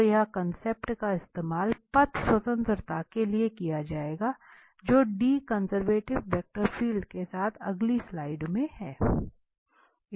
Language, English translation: Hindi, So, this concept will be used to relate this path independence with D conservative vector field in the next slide